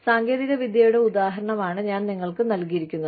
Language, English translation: Malayalam, I have given you, the example of technology